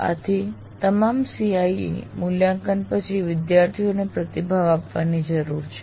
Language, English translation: Gujarati, So one needs to give feedback to students after all CIE assessments